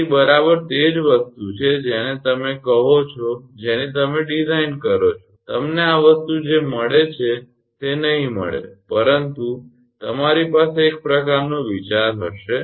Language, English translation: Gujarati, So, is exactly exact thing what you call whatever you design you may not get whatever you this thing, but you will have some kind of idea